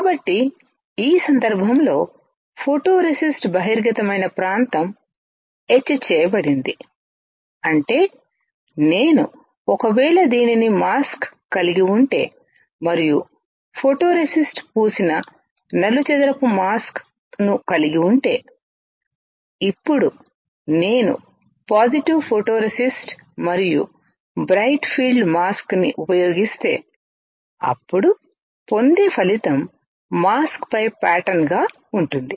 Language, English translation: Telugu, So, in this case the area which was exposed the photoresist got etched; which means, that if I have this as a mask and I have a square wafer which is coated with the photoresist; Now, if I use positive photoresist and a bright field mask then the result obtained will be the pattern on the mask